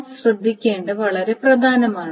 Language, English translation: Malayalam, This is very, very important to notice that